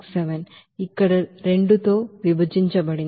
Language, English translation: Telugu, 67 divided by 2 here